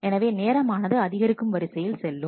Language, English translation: Tamil, So, time goes in the increasing order